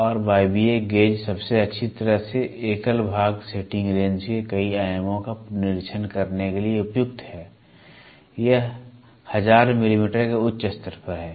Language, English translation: Hindi, And the pneumatic gauges are best suited for inspecting multiple dimensions of a single part setting range from 0